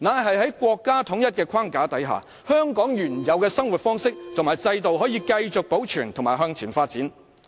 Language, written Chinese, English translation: Cantonese, 是在國家統一的框架下，香港可以繼續保留原有的生活方式和制度及向前發展。, Well it is intended to let Hong Kong maintain its original way of life as well as systems and move forward under the framework for unity of our country